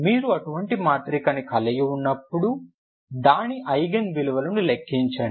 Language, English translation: Telugu, If you have such a matrix if you calculate its Eigen values ok